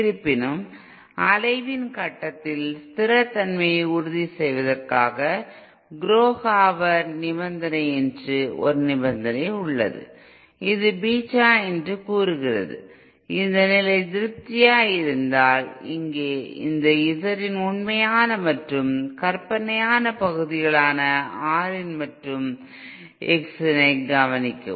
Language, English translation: Tamil, Um at the point of oscillation however, in order to insure stability there is a condition called Kurokawar condition which states that BetaÉ If this condition is satisfied, here note this R in and X in our real and imaginary parts of Z in